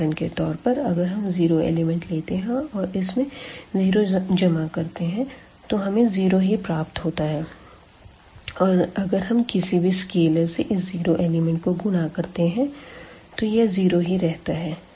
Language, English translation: Hindi, For example, you take the element the 0 and add to the 0 you will get 0 and we multiply by any scalar to the 0 the element will remain as a 0